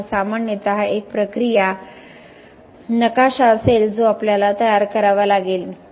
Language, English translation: Marathi, So, this would be typically a process map that we will have to prepare